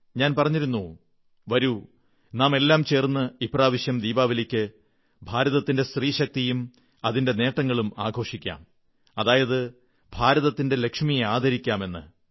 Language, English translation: Malayalam, I had urged all of you to celebrate India's NariShakti, the power and achievement of women, thereby felicitating the Lakshmi of India